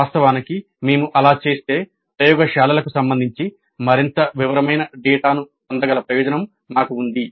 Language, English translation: Telugu, In fact if you do that we have the advantage that we can get more detailed data regarding the laboratories